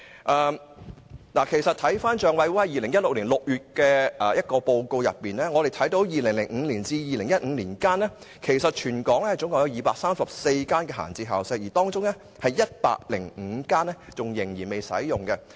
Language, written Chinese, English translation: Cantonese, 根據政府帳目委員會2016年6月的報告，在2005年至2015年間，全港共有234間閒置校舍，當中有105間仍然未使用。, According to the Report of the Public Accounts Committee issued in June 2016 the number of vacant school premises in Hong Kong totalled at 234 between 2005 and 2015 of which 105 vacant school premises were not being used